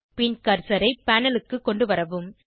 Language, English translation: Tamil, And bring the cursor to the panel